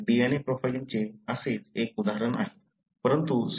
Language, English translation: Marathi, So, that is, is one such example of DNA profiling